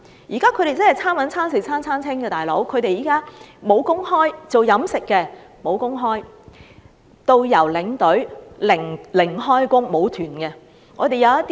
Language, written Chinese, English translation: Cantonese, 現時他們真是"餐搵餐食餐餐清"，從事飲食業的沒有工作，導遊和領隊又因而沒有旅行團而"零開工"。, Now they are really leading a hand - to - mouth existence―those working in the catering industry have no work and tour guides and tour escorts have zero job due to the lack of tour groups